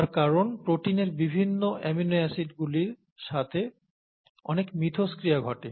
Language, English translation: Bengali, This is how a protein gets made from the various amino acids